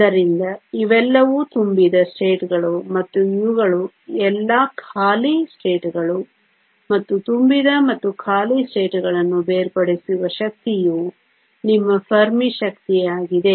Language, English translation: Kannada, So, that these are all the fill states and these are all the empty states and the energy separating the filled and the empty states is your Fermi energy